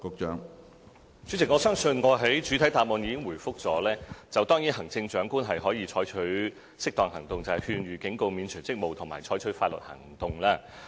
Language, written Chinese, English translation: Cantonese, 主席，我相信我在主體答覆中已作出回覆，行政長官可以採取適當行動，即勸諭、警告、免除職務及採取法律行動。, President I believe I have responded in the main reply that the Chief Executive may take appropriate actions including issuing an advice a warning removing the person from office or taking legal actions